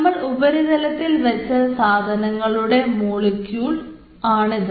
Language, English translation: Malayalam, this is the molecule i have quoted, the surface